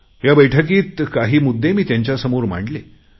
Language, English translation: Marathi, This time I put some issues before them